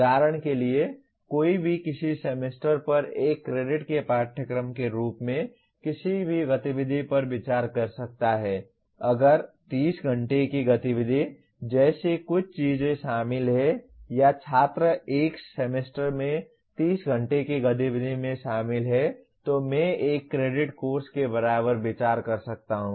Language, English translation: Hindi, For example one can consider any activity as a course of 1 credit over a semester if there are something like 30 hours of activity are involved or students are involved in 30 hours of activity over a semester, I can consider equivalent to 1 credit course